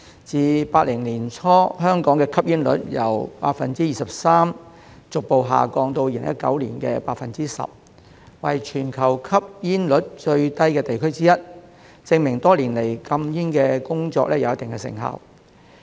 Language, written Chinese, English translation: Cantonese, 自1980年代初，香港的吸煙率由約 23% 逐步下降至2019年約 10%， 為全球吸煙率最低的地區之一，證明多年來的禁煙工作有一定的成效。, Since the early 1980s the smoking rate in Hong Kong has gradually dropped from about 23 % to about 10 % in 2019 making us one of the places with the lowest smoking rate in the world . This is proof that the anti - smoking efforts made over the years have achieved certain results